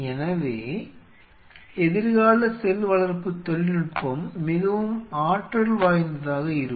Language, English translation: Tamil, So, future cell culture technology will be very dynamic